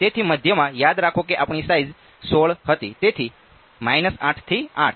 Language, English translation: Gujarati, So, centre remember our size was 16 so, minus 8 to 8